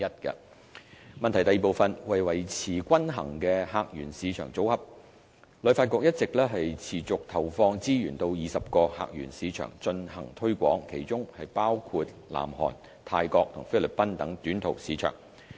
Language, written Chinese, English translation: Cantonese, 二為維持均衡的客源市場組合，旅發局一直持續投放資源到20個客源市場進行推廣，當中包括南韓、泰國及菲律賓等短途市場。, 2 To maintain a balanced visitor portfolio HKTB has been focusing its marketing resources on 20 key source markets including short - haul markets such as South Korea Thailand and the Philippines